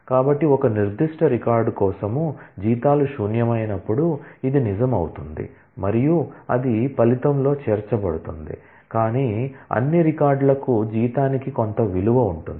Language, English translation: Telugu, So, for a particular record for which salaries null, this will become true and that will get included in the result, but for all records for which, there is some value for the salary